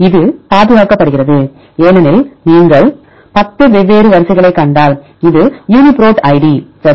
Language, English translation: Tamil, It is conserved because if you see the 10 different sequences, this is the Uniprot id ok